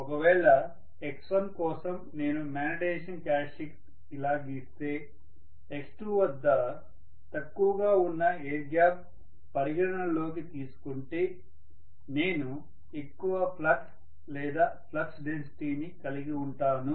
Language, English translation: Telugu, So for x1 if I draw a magnetization characteristic like this, x2 considering the air gap is lower I should probably create a little bit higher flux or flux density hopefully